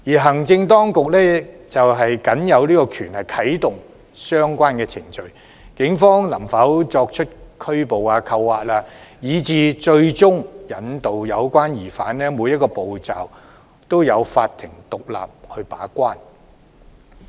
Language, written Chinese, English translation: Cantonese, 行政當局僅有權啟動相關程序，對於警方能否拘捕、扣押，以至最終引渡有關疑犯，每一個步驟均有法庭獨立把關。, The Executive Authorities only have the power to activate the relevant procedure . As regards whether the Police can arrest detain and eventually extradite an offender each step is regulated by the court independently